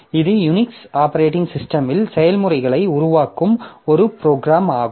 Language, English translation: Tamil, So, this is one program that creates processes in Unix operating system